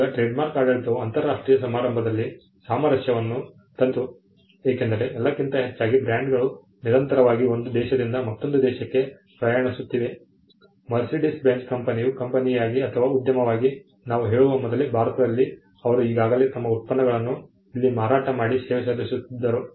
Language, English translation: Kannada, Now, what the trademark regime did at the international event it brought in harmonization, because more than anything else brands are constantly traveling from one country to another, even before we had say the company the Mercedes Benz as a company or an enterprise set its foot in India, they already had their products being sold and serviced here